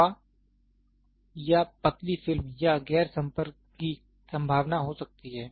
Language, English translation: Hindi, There can be a possibility of air or thin film or non contact